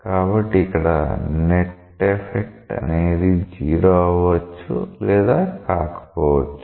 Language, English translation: Telugu, So, it might so happen that now here the net effect it may be 0, it may not be 0